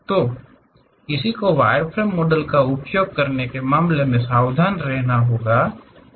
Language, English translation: Hindi, So, one has to be careful in terms of using wireframe models